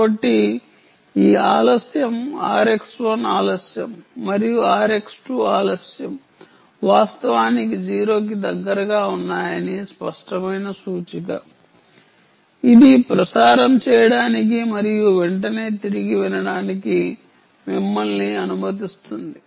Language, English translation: Telugu, this delay r x one delay and r x two delay are actually close to zero ah, which will allow you to ah transmit and immediately listen back